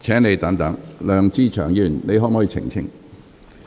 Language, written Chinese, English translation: Cantonese, 梁志祥議員，你可否澄清？, Mr LEUNG Che - cheung can you clarify?